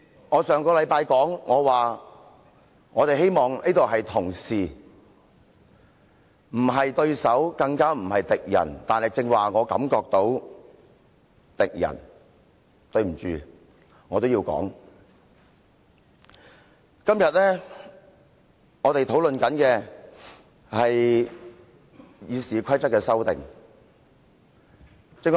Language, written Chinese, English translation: Cantonese, 我上星期說我希望這裏大家是同事，不是對手，更不是敵人，但我剛才感覺到的是敵人，即使我覺得抱歉，但我也要這樣說。, Just last week I said that I hope we in this Council are colleagues not rivals and even less so enemies . But just now I had the feeling that we were enemies and I have to say this though I feel sorry for it